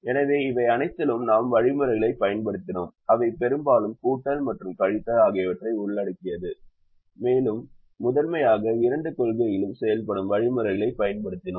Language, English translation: Tamil, so in all this we have used algorithms which involve largely addition and subtraction, and we have used algorithms which primarily work on two principles